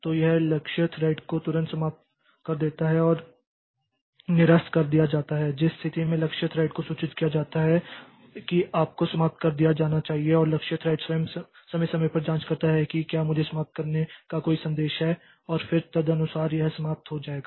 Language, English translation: Hindi, So, it terminates the target thread immediately and deferred cancellation in which case the target thread is informed that you should be terminated and the target thread itself checks periodically that whether there is any message to terminate me and then accordingly it will terminate